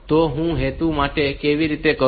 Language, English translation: Gujarati, So, for that purpose, how to do it